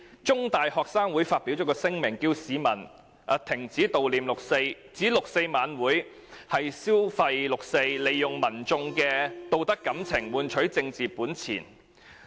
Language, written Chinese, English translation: Cantonese, 中大學生會在上星期發表聲明，呼籲市民停止悼念六四，並指六四晚會"消費六四"，利用民眾的道德感情，換取政治本錢。, In a statement issued last week the Student Union of The Chinese University of Hong Kong urged members of the public to stop mourning 4 June saying that the 4 June gala is meant to exploit the 4 June incident and exchange the moral sentiments of the general public for political capital